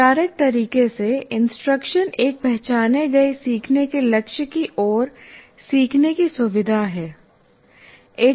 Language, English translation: Hindi, In a formal way, instruction, it is the intentional facilitation of learning toward an identified learning goal